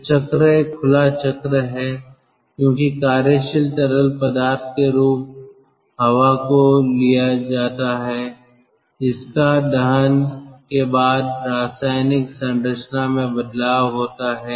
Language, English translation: Hindi, so the cycle is an open cycle because the working fluid, as working fluid, air, is taken and it will change its chemical composition after the combustion